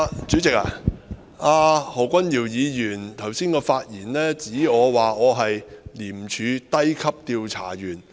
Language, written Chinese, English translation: Cantonese, 主席，何君堯議員在剛才的發言中說我是廉政公署低級調查員。, President in his speech earlier Dr Junius HO said that I was the Junior Investigator of ICAC